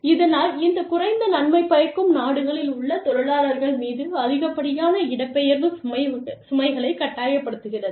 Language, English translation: Tamil, And, thus force, excessive dislocation burdens on workers, in these low benefit countries